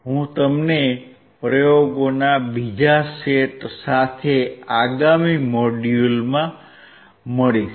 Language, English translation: Gujarati, I will see you in the next module with another set of experiments